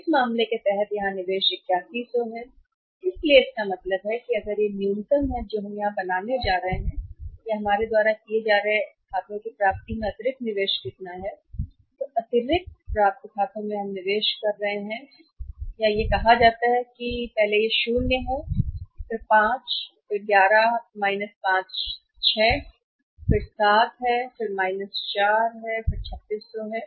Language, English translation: Hindi, Under this case the investment here is 1100 so it means out of this if this is the minimum we are going to make here how much additional investment in the accounts receivables we are making this much is the additional investment in the accounts receivables we are making and this is say 00 and then 5 11 5 is 6 and then it is 7 4 is 3600